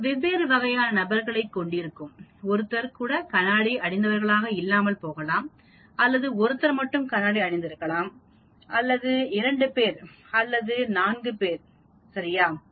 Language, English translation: Tamil, It is people of different types, you can have people wearing glasses, you may get no one, you may get 1 person wearing glasses, you may get 2 persons wearing glasses, you may get all the 4 person wearing glasses, right